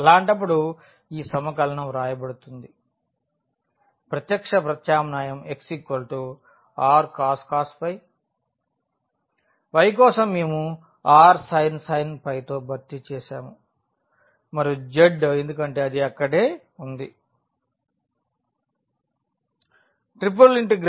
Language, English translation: Telugu, In that case this integral will be written as so, the direct substitution for x here r cos phi for y we have replaced by r sin phi and z because it was same there